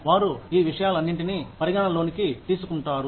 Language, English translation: Telugu, They take, all of these things, into account